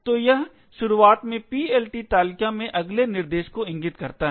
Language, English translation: Hindi, So, this initially points to the next instruction in the PLT table